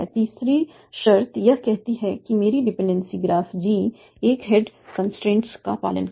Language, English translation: Hindi, Third constraint says that by dependency graph G always the single head constraint